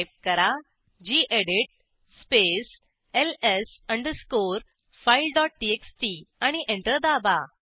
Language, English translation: Marathi, Type gedit space ls underscore file dot txt and press Enter